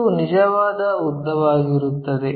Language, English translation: Kannada, True lengths are done